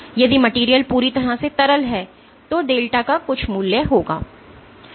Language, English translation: Hindi, If the material is perfectly fluid then delta has some value